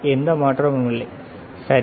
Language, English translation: Tamil, There is no change, right